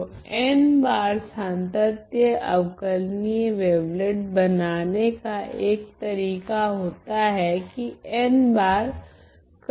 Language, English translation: Hindi, So, that is one way of constructing n times continuously differentiable wavelet by introducing n times the convolution